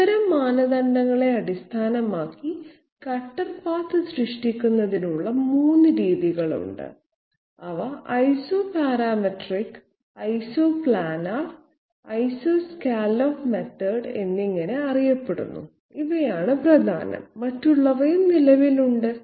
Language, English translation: Malayalam, Based on such criteria there are 3 methods of cutter path generation which are known as Isoparamatric, Isoplanar and Isoscallop method, these are the main others also existing